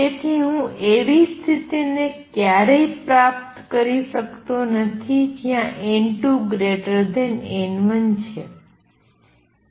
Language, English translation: Gujarati, So, I can never achieve a situation where you know n 2 greater than n 1